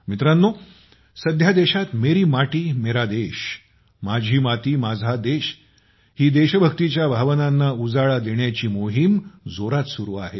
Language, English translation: Marathi, Friends, At present, the campaign to evoke the spirit of patriotism 'Meri Mati, Mera Desh' is in full swing in the country